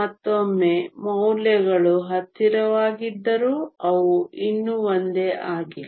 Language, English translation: Kannada, Once again the values are closer but they are still not the same